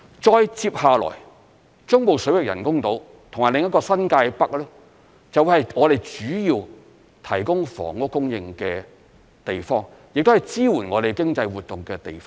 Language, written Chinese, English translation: Cantonese, 再接下來，中部水域人工島及新界北發展就會是我們主要提供房屋供應的地方，亦是支援我們經濟活動的地方。, Coming up next will be the developments of the artificial islands in the Central Waters and New Territories North NTN which will be the main source of housing supply and support for our economic activities